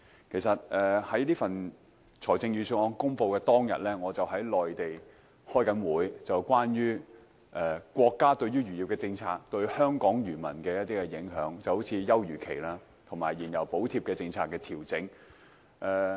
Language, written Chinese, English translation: Cantonese, 其實，在財政預算案公布當日，我正在內地開會，是關於國家漁業政策對香港漁民的影響，例如休漁期和燃油補貼政策的調整。, Actually on the day the Budget was announced I was having a meeting in the Mainland about how Hong Kong fishermen would be impacted by the adjustments of various fisheries policies of the state such as the fishing moratorium and the fuel subsidy